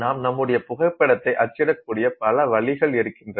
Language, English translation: Tamil, You can take photographs, you can print out your photograph